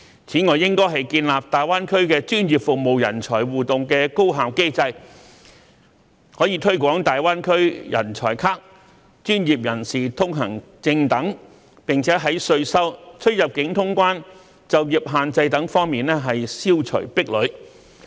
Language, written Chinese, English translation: Cantonese, 此外，三地應建立大灣區專業服務人才互動的高效機制，可推廣"大灣區人才卡"或"專業人士通行證"等，以及消除稅收、出入境通關和執業限制等方面的壁壘。, Moreover the three places should establish an efficient and interactive system of professional services talents for GBA such that they can promote the ideas of GBA talent cards professionals pass etc and remove the obstacles in taxation boundary clearance practice restrictions etc